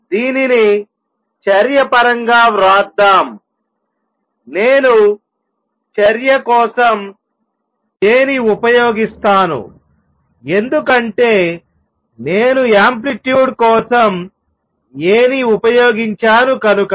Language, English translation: Telugu, Let us write this in terms of action, let me use J for action because I am using A for amplitude